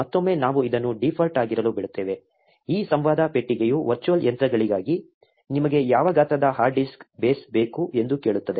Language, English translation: Kannada, Again, we will let this to be default, this dialogue box also asks you what size of hard disk base you want for the virtual machines